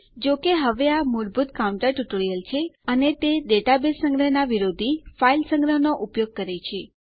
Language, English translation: Gujarati, However, for now this is a basic counter tutorial and its using file storage as opposed to database storage